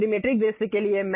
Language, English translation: Hindi, Now, for the Trimetric view